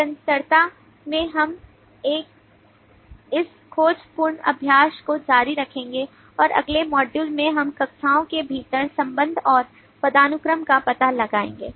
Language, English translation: Hindi, in continuation we will continue this exploratory exercise and in the next module we will explore the relation and hierarchy within the classes